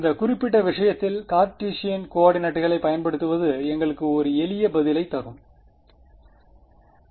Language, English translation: Tamil, In this particular case it turns out that using Cartesian coordinates gives us a simpler answer